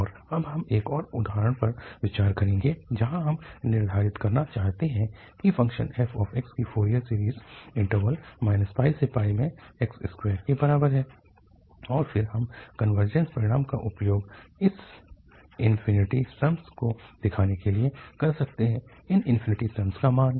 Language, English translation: Hindi, And, now we will consider another example where we want to determine the Fourier series of the function f x is equal to x square in the interval minus pi to pi and then we can use the convergence result to show the these infinite sums, the value of these infinite sums